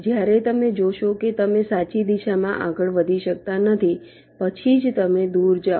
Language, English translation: Gujarati, only when you see that you cannot move in the right direction, then only you move away